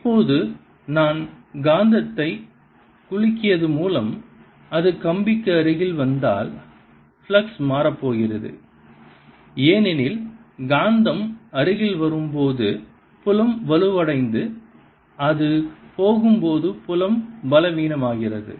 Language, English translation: Tamil, now, if i shake the magnet as it comes near the wire, the flux is going to change because as the magnet comes nearer, the field becomes stronger and as it goes away, field becomes weaker again